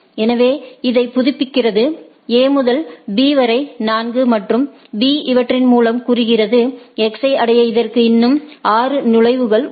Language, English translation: Tamil, So, it updates so, A to B is 4 and B by virtue of these says that in order to reach X it is still having that 6 entry right